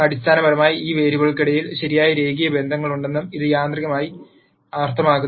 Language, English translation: Malayalam, Then that basically automatically means that there are really linear relationships between these variables